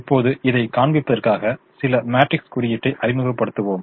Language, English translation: Tamil, now let's introduce some matrix notation just to show this